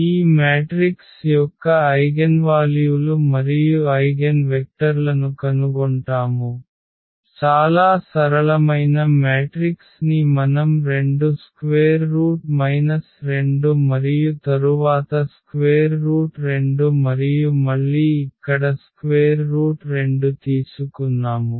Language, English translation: Telugu, So, let us start with this problem here find eigenvalues and eigenvectors of this matrix, again a very simple matrix we have taken 2 square root minus 2 and then square root 2 and again here square root 2 and this one there